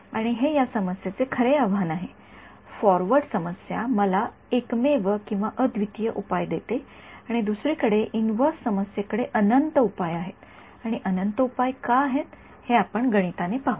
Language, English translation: Marathi, And, this is a real challenge of this problem, the forward problem gives me unique solutions and the inverse problem on the other hand has infinite solutions and we will see mathematically why there are infinite solutions